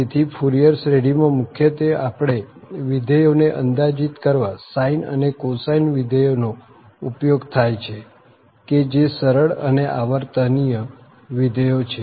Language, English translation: Gujarati, So, Fourier series mainly we will see their its used in a nut shell to approximate the functions using sine and cosine functions which are simple and then also periodic